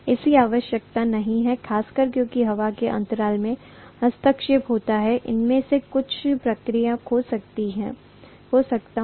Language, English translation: Hindi, It need not be, specially because intervening air gap is there, some of them may get lost in the process